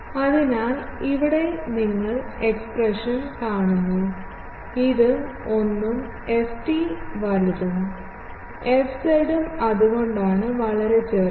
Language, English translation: Malayalam, So, here you see the expression, this is 1 and ft is, sizable, fz is that is why very small